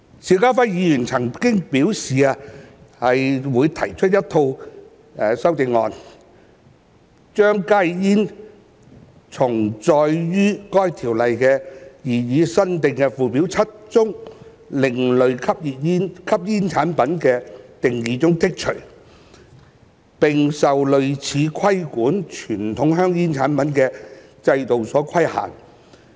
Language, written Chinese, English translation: Cantonese, 邵家輝議員曾表示擬提出一套修正案，將加熱煙從載於該條例擬議新訂附表7中另類吸煙產品的定義中剔除，並受類似規管傳統香煙產品的制度所規限。, Mr SHIU Ka - fai has indicated his intention to propose a set of amendments to the Bill to exclude HTPs from the definition of ASP in the proposed new Schedule 7 to the Ordinance and to subject these products to a regulatory regime similar to that on conventional tobacco products